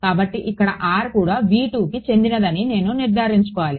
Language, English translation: Telugu, So, I have to make sure that r over here also belong to v 2